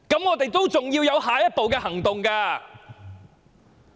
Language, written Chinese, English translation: Cantonese, 我們還要有下一步行動。, We still have to take the next step